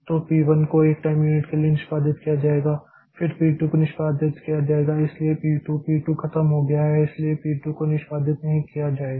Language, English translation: Hindi, Okay, so p one will be executed for one time unit then uh, again p2 will be executed so p2 is over so p2 will no more be executed